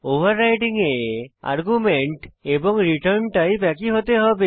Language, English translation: Bengali, In overriding the arguments and the return type must be same